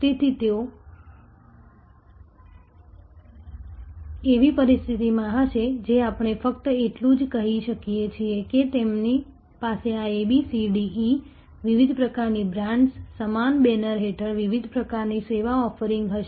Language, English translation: Gujarati, So, therefore, it will be, they will be in a situation, which we just that they will have these A, B, C, D, E, different types of brands, different types of service offerings under the same banner